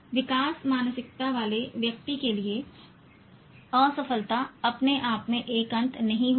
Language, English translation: Hindi, Failure for a person with growth mindset will not be, need not be an end in itself